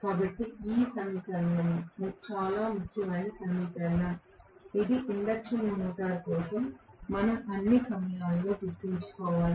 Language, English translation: Telugu, So, this equation is a very, very important equation which we should remember all the time for the induction motor